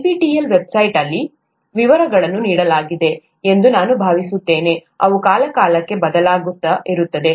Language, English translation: Kannada, I think the details are given in the NPTEL website, they keep changing from time to time